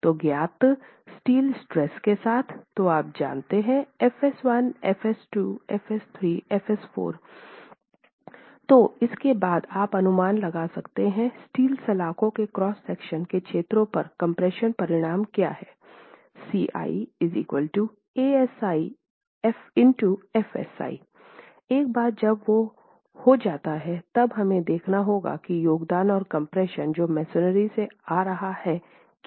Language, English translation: Hindi, So with the steel stress known, you can then, so you know FS1, FS2, FS3, FS4, you can then estimate based on the areas of cross section of the steel bars what the compression resultants are as ASI into FSI for each bar